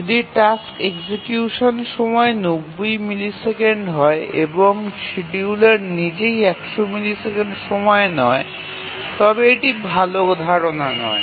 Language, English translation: Bengali, If the task execution time is 90 milliseconds and the scheduler itself takes 100 milliseconds, then it is not a good idea